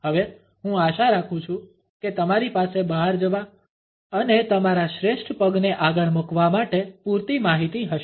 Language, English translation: Gujarati, Now, I hope you have enough information to go out and put your best foot forward